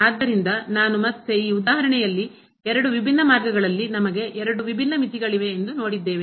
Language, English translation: Kannada, So, I will again in this example we have seen that along two different paths, we have two different limits